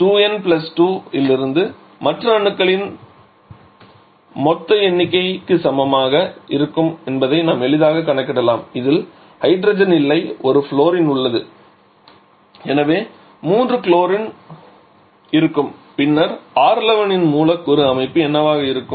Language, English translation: Tamil, So, the from the 2n + 2 we can easily calculate total number of other atoms will be equal to 4 out of this there is no hydrogen there is one fluorine, so there will be 3 chlorine then what will be the molecular structure of R11